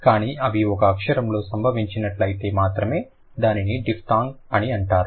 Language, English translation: Telugu, But if they happen to occur in one syllable, then it is going to be called as diphthongs